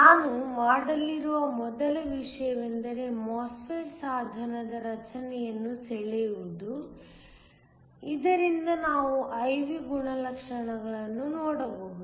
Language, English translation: Kannada, The first thing I am going to do is to draw the structure of a MOSFET device, so that we can look at the I V characteristics